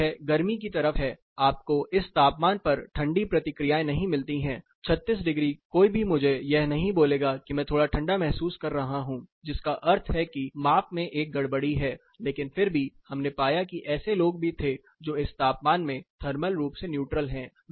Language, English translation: Hindi, This is on the hotter side, you do not get the colder responses during this particular temperature of course, 36 degrees nobody tells I am feeling cool which means there is an anomaly in the measurement, but still what we found there were set of people who were also saying they are with it that is they say it is thermally neutral I will tell you who said those things